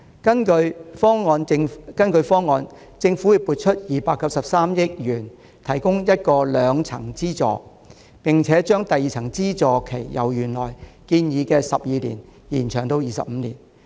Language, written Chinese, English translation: Cantonese, 根據方案，政府將會撥出293億元提供兩層資助，並會把第二層資助期由原來建議的12年延長至25年。, According to the proposal the Government will allocate 29.3 billion to the provision of two tiers of subsidy with the duration of subsidy in the second tier extended from the originally proposed 12 years to 25 years